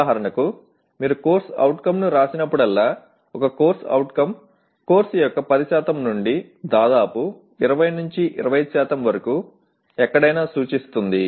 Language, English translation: Telugu, For example, whenever you write a CO, a CO represents almost anywhere from 10% of the course to almost 20 25% of the course